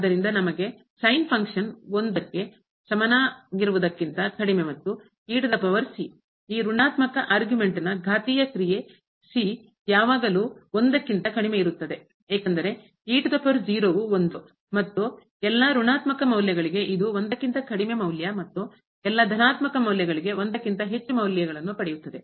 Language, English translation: Kannada, So, we have less than equal to one the function and the power the exponential function for this negative argument will be always less than because power is and o for all a negative values it takes value less than for positive values it will take more than